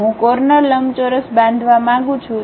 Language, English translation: Gujarati, I would like to construct a corner rectangle